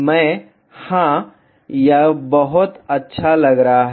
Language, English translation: Hindi, I have to yeah this looks pretty much good